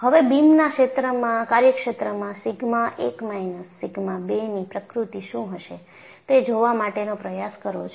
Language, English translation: Gujarati, Now, you try to look at what would be the nature of sigma 1 minus sigma 2 in the domain of the beam